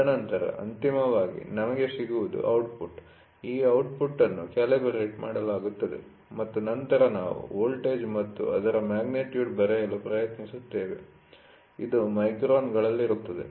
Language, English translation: Kannada, And then finally, what we get is the output, this output is calibrated and then we try to get what is the voltage what is the magnitude, so this will be in microns